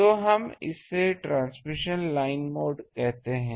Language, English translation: Hindi, So, we call it transmission line mode